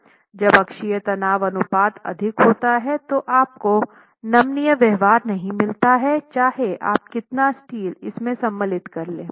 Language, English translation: Hindi, When axial stress ratios are high, you do not get ductile behavior, how much of a steel you want you put in there